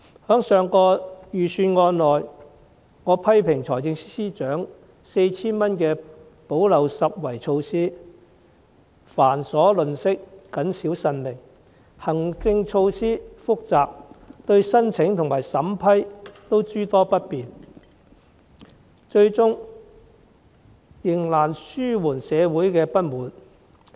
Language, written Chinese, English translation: Cantonese, 在上一份預算案，我批評財政司司長 4,000 元的補漏拾遺措施繁瑣吝嗇，謹小慎微，行政措施複雜，對申請和審批都諸多不便，最終仍難紓緩社會的不滿。, In respect of the Budget last year I criticized the 4,000 gap - plugging initiative introduced by the Financial Secretary as being cumbersome meagre and overcautious . The complicated administrative procedure causes inconveniences in application vetting and approval . The social discontent was not alleviated in the end